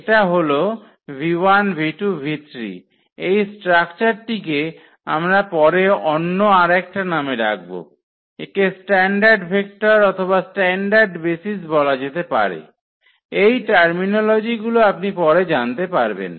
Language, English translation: Bengali, And the structure this is called the later on we will come up with another name this called the standard vectors or rather standard basis which you will refer later on this these terminologies